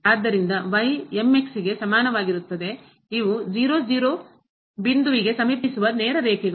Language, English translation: Kannada, So, is equal to these are the straight lines approaching to point